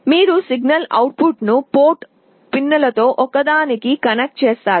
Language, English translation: Telugu, You connect the signal output to one of the port pins